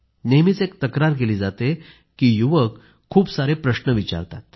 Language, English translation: Marathi, There is a general complaint that the younger generation asks too many questions